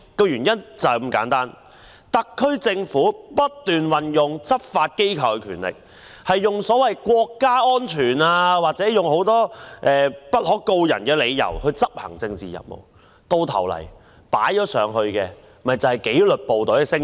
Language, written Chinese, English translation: Cantonese, 原因是特區政府不斷運用執法機構的權力，以國家安全或很多不可告人的理由執行政治任務，最終犧牲紀律部隊的聲譽。, The reason is that the SAR Government has constantly exploited the authority of law enforcement agencies to carry out political missions in the name of national security or other reasons that cannot be revealed . Eventually the reputation of the disciplined services has been sacrificed